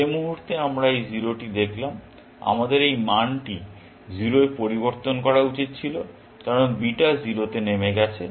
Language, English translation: Bengali, The moment we saw this 0, we should have changed this value to 0, because beta has gone down to 0